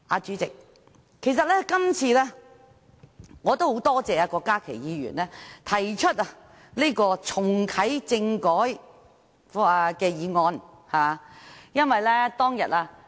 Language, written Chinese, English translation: Cantonese, 主席，我今次很感謝郭家麒議員提出"促請下任行政長官重啟政改"的議案。, President I thank Dr KWOK Ka - ki for moving this motion on Urging the next Chief Executive to reactivate constitutional reform today